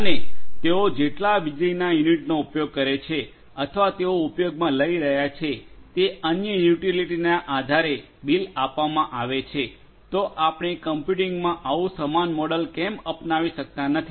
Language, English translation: Gujarati, And they will get billed based on the number of units of electricity that they are going to use or other utilities that they are going to use, why cannot we adopt the same model in computing